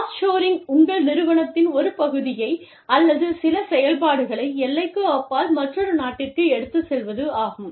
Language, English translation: Tamil, Off shoring is, taking the operations, taking one part or some operations, of your organization, to another country, across the border